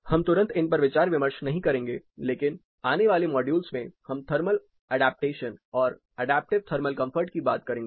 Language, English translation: Hindi, Immediately we are not discussing this, but in of the later modules where we talk about thermal adaptation adaptive thermal comfort